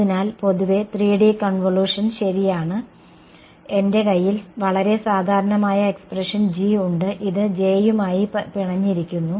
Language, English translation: Malayalam, So, in general 3D convolution right, I have this is the most general expression right G convolved with J ok